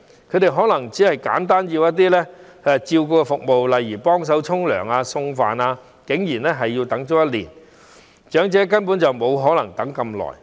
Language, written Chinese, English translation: Cantonese, 他們可能只是需要一些簡單的照顧服務，例如幫忙洗澡或送飯等，但竟然也要等待1年，長者根本沒可能等那麼久。, They may only need some simple caring services such as some help with showers or meal delivery but they need to wait for one year . Basically the elderly cannot wait that long